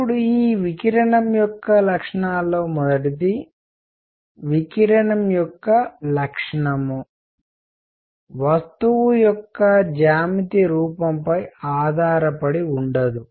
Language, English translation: Telugu, Now the properties of this radiation is number one the nature of radiation does not depend on the geometric shape of the body